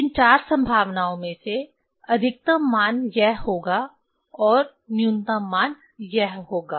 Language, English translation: Hindi, Out of these four possibilities, so largest value will be this and lowest value will be this